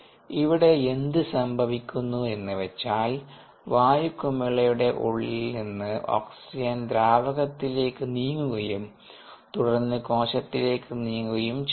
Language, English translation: Malayalam, what happens is oxygen from inside the air bubble moves to the liquid and then moves to the cell